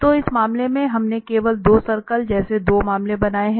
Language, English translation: Hindi, So in this case, we have drawn 2 cases like 2 circles only